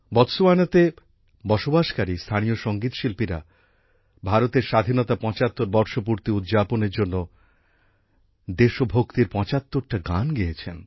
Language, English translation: Bengali, Local singers living in Botswana sang 75 patriotic songs to celebrate 75 years of India's independence